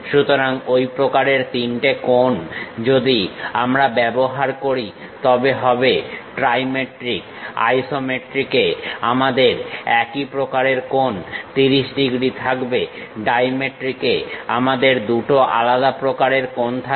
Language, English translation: Bengali, So, such kind of three angles if we use, trimetric; in isometric same kind of angles we will have 30 degrees same, in dimetric we will have two different angles